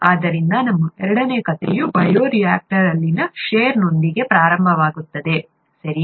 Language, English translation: Kannada, So our second story starts with shear in the bioreactor, okay